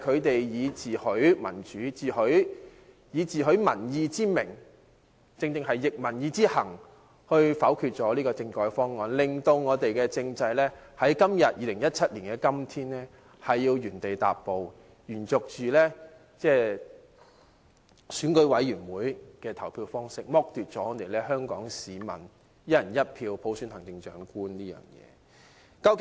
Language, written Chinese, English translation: Cantonese, 他們自詡民主、尊重民意，但卻拂逆民意，否決了政改方案，令本地政制在2017年的今天仍要原地踏步，繼續實行選舉委員會的選舉方式，剝奪了香港市民以"一人一票"普選行政長官的機會。, They talk about their respect for democracy and public opinions but they chose to act against public aspirations and vote down the constitutional reform proposals . As a result our constitutional system is forced to mark time and even now in 2017 we must still select the Chief Executive through the Election Committee thus depriving all Hong Kong people of a chance to select the Chief Executive by universal suffrage based on one person one vote